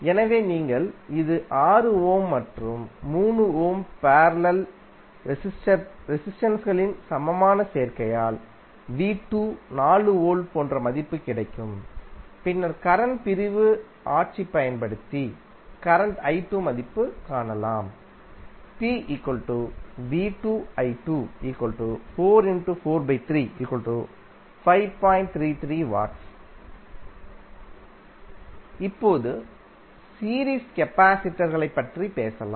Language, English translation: Tamil, So you get the value as 2 Volt for the, the equivalent combination of 6 Ohm and 3 Ohm parallel resistors, you get the value of V2 as 4pi, then using current division rule, you can find the value of current i2 and now using the formula p is equal to v2i2 you can find out the value of power dissipated in the resistor